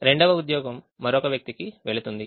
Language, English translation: Telugu, one job will go to only one person